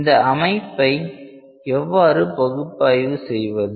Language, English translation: Tamil, Question is that how do we analyse the system